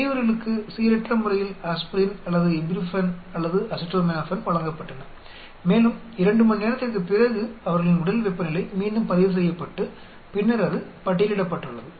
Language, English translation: Tamil, The subjects were randomly given either aspirin or ibuprofen or acetaminophen and after 2 hours, their body temperature was again recorded and then it is listed